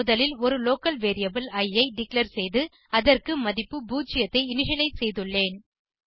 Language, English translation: Tamil, First, I declared a local variable i and initialized it with value 0